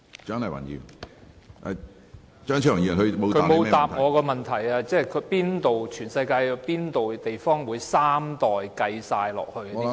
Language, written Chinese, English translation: Cantonese, 局長沒有回答我的補充質詢，全世界有哪些地方會把三代都計算在內？, The Secretary did not answer my supplementary question . Which places in the whole world would include three generations in the calculation?